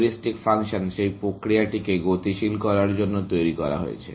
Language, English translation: Bengali, Heuristic function is devised to speed up that process